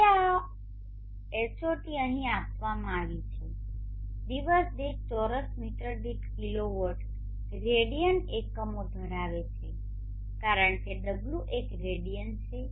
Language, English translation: Gujarati, Now this HOT has given here has the units of kilo watt radians per meter square per day because